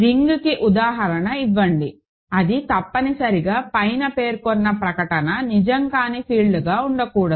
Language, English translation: Telugu, Give an example of a ring which necessarily will have to be not a field where the above statement is not true, ok